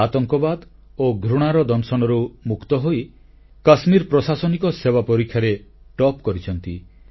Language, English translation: Odia, He actually extricated himself from the sting of terrorism and hatred and topped in the Kashmir Administrative Examination